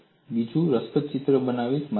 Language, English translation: Gujarati, I will show another interesting picture